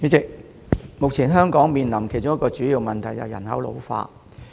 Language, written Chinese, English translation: Cantonese, 代理主席，目前香港面臨其中一個主要問題，就是人口老化。, Deputy President ageing population is one of the major problems that Hong Kong is now facing